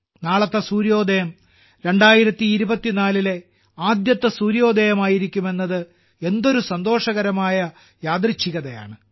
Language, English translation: Malayalam, And what a joyous coincidence it is that tomorrow's sunrise will be the first sunrise of 2024 we would have entered the year 2024